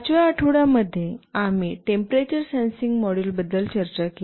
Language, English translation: Marathi, In week 5, we discussed about temperature sensing module